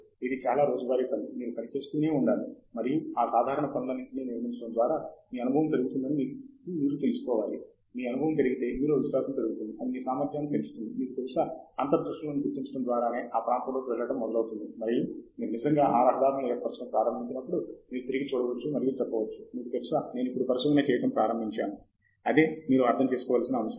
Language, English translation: Telugu, It is a lot of routine work that goes on, that you have to keep working on, and building on all of that routine work, you know, your experience goes up; your experience goes up, your confidence goes up, your ability to, you know, identify insights into that area starts going up and that is when you actually start making those in roads, which you can look back and say, you know, I was now beginning to do research; so that is the point that you need to understand